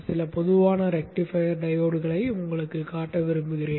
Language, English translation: Tamil, I would like to show you some common rectifier diodes